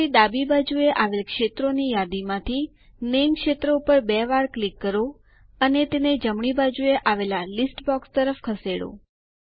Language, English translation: Gujarati, Now, let us double click on the Name field in the Available fields list on the left and move it to the list box on the right